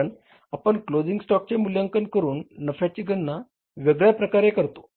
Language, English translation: Marathi, Because we calculate the profits in a different way by evaluating the closing stock